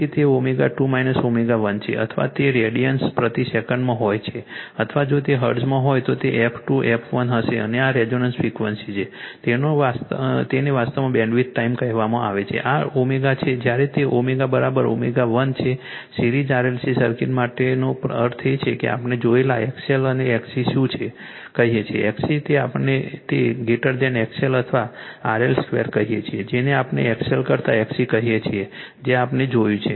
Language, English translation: Gujarati, So, that is your omega 2 minus omega 1 or if it is in radian per second or if it is hertz it will be f 2 minus f 1 right and this is your resonance frequency this is called actually bandwidth time and this omega, when it your omega is equal to omega 1 means for series RLc circuit we have seen right, that your what you call that your XL and XC xc is your what we call greater than XL or RL square your what we call XC than your XL that we have seen